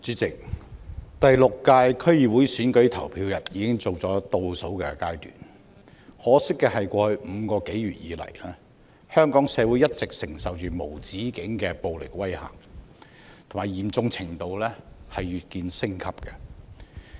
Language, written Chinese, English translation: Cantonese, 主席，第六屆區議會選舉投票日已經進入倒數階段，可惜的是，過去5個多月以來，香港社會一直承受着無止境的暴力威嚇，嚴重程度越見升級。, President the countdown to the Sixth District Council DC Election has begun . Yet regrettably over the past five months Hong Kong society has been subjected to endless and escalating violence